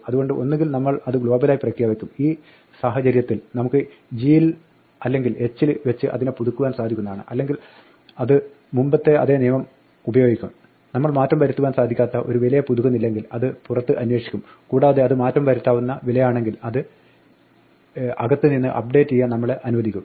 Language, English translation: Malayalam, So, either we will declare it global in which case we can update it within g or h or it will use the same rule as before if we do not update an immutable value it will look outside and if it is a mutable value it will allow us to update it from inside